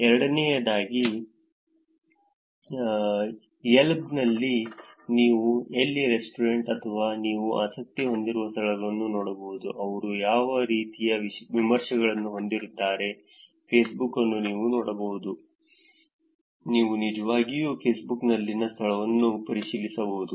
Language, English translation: Kannada, Secondly, in the Yelp you can look at where the restaurant or places that you are interested in, what kind of reviews do they have, Facebook you can actually looked you can actually do check in into a location in Facebook